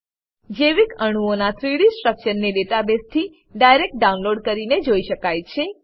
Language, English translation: Gujarati, 3D structures of biomolecules can be viewed, by direct download from database